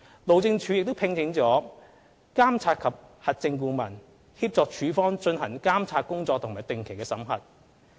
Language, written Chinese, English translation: Cantonese, 路政署亦聘請了監察及核證顧問，協助署方進行監察工作和定期審核。, HyD has also engaged a monitoring and verification MV consultant to assist the department in monitoring and regularly auditing the works